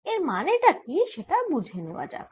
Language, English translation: Bengali, let us see that what it means